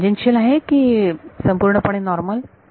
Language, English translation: Marathi, Is it tangential or purely normal